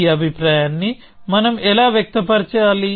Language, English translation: Telugu, So, how do we express this view